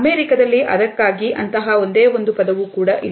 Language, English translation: Kannada, In the US there is no such single word for that